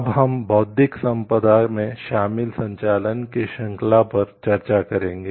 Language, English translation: Hindi, What is the intellectual property chain of activities